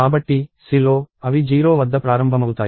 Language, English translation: Telugu, So, in C, they do start at 0